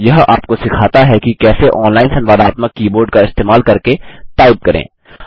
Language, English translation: Hindi, It teaches you how to type using an online interactive keyboard